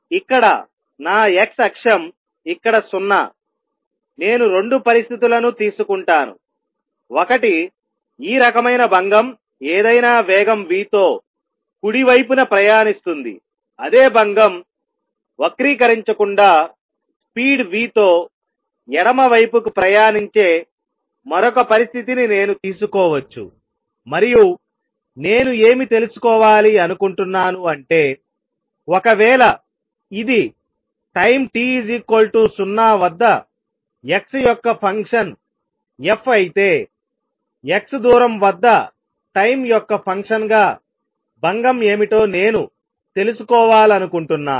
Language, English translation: Telugu, So, here is my x axis here is 0, I will take 2 situations in one in which this disturbance which could be any kind is traveling to the right with speed v, I can take another situation in which the same disturbance travels to the left with speed v without getting distorted and I want to know, suppose this is function f of x at time t equals 0, I want to know what would the disturbance be as a function of time at a distance x